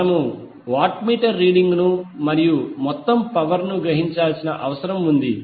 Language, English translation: Telugu, We need to find out the watt meter readings and the total power absorbed